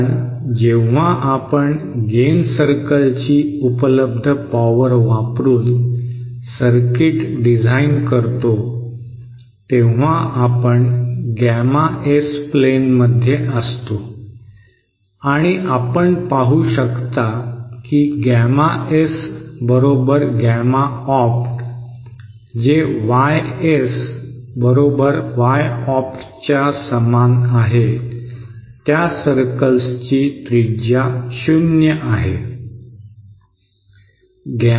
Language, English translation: Marathi, Because when we design a circuit using the available power of gain circle we are in the gamma S plain and you can see that for gamma S equal to gamma opt that is for YS equal Y opt the radius of these circles is 0